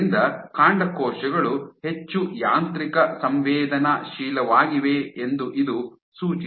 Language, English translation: Kannada, So, this suggests that the stem cells are more mechanosensitive